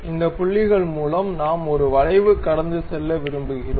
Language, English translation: Tamil, These are the points through which we would like to pass an arc